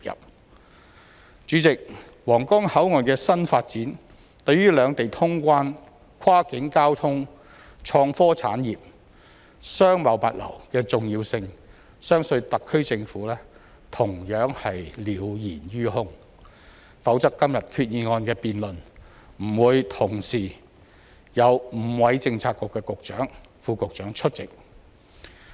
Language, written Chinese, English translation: Cantonese, 代理主席，皇崗口岸的新發展對於兩地通關、跨境交通、創科產業、商貿物流的重要性，相信特區政府同樣是了然於胸，否則今天議案的辯論不會同時有5位政策局局長、副局長出席。, Deputy President I believe the HKSAR Government is well aware of the importance of the new development of the Huanggang Port to passenger clearance of the two places cross - boundary transportation the IT industry and to trading and logistics; otherwise it would not have five Bureau Directors and Under Secretaries attending this motion debate